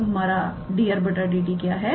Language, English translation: Hindi, So, what is our dr dt